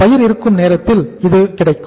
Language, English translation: Tamil, It will be available at the time when the crop is there